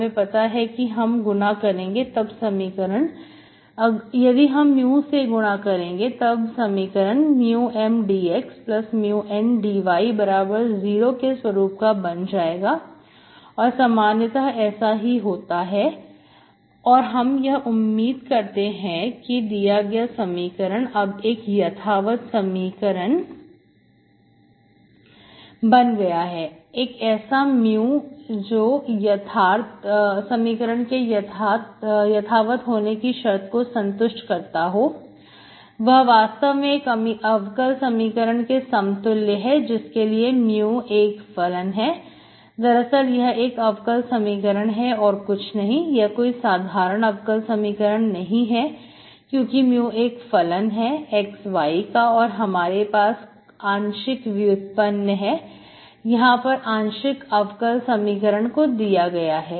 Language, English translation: Hindi, So you multiply mu which is called an integrating factor, so this is called mu, mu is called an integrating factor, so if I look for, if I know that, if I multiply the equation mu of x, y, this becomes this in general, then I hope that the equation becomes exact for such a mu, then that means it has to satisfy this condition of exactness, that actually equal to this differential equation, for mu which is function, actually this is a differential equation of neither, it is not ordinary differential equation because mu is a function of x, y, you have a partial derivative, it is that partial differential equations x y